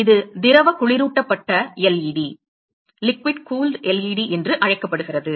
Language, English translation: Tamil, It is called the liquid cooled LED